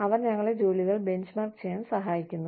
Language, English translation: Malayalam, They help us benchmark jobs